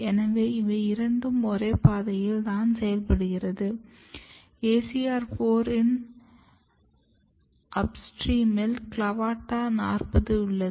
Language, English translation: Tamil, This suggests that they are working through the same pathway and CLAVATA40 is upstream of ACR4